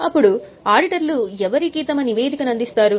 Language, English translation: Telugu, Now, whom will auditors report